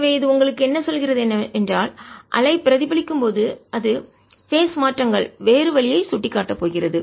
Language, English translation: Tamil, so what it tells you is that when the wave is getting reflected, its phase changes is going to point the other way